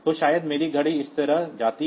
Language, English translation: Hindi, So, maybe my watch goes like this